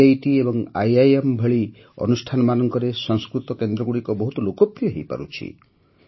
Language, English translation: Odia, Sanskrit centers are becoming very popular in institutes like IITs and IIMs